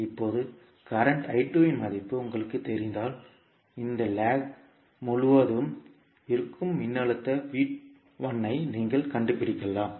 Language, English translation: Tamil, Now, when you know the value of current I2 you can find out the voltage V1 which is across this particular lag